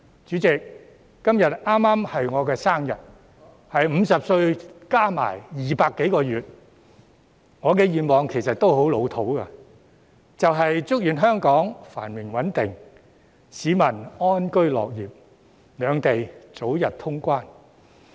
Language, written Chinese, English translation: Cantonese, 主席，今天剛好是我的生日——是50歲加上200多個月——我的願望其實亦十分老套，就是祝願香港繁榮穩定，市民安居樂業，兩地早日通關。, President today happens to be my birthday―I am 50 years and 200 - odd months old―and my wish is actually a real cliché I wish prosperity and stability for Hong Kong contentment and a happy life for members of the public and an early resumption of cross - boundary travel between Hong Kong and the Mainland